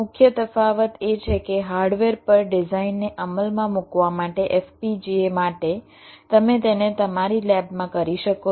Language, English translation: Gujarati, the main difference is that to implement a design on the hardware for fpga, ah, you can do it in your lab